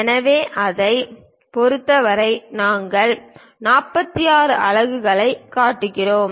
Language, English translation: Tamil, So, with respect to that we show 46 units